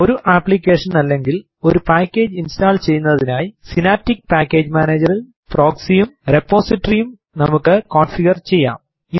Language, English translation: Malayalam, Let us configure Proxy and Repository in Synaptic Package Manager for installing an application or package